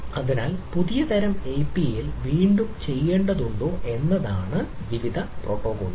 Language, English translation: Malayalam, so the api is whether need to be redone on new type of api has to be there and there are various protocols